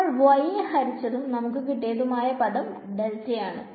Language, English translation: Malayalam, What did we divide by y and the other term that I will get is delta